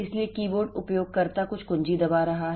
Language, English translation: Hindi, So, keyboard the user is pressing some key